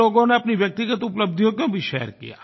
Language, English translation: Hindi, Some people even shared their personal achievements